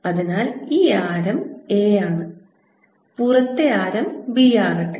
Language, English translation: Malayalam, so this radius is a and let the outer radius be b